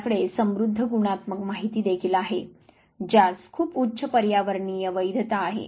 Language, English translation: Marathi, You also have rich qualitative data which has very high ecological validity